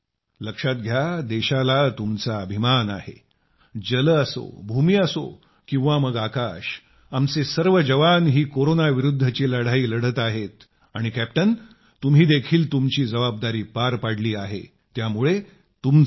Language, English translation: Marathi, See this time the country feels proud that whether it is water, land, sky our soldiers are engaged in fighting the battle against corona and captain you have fulfilled a big responsibility…many congratulations to you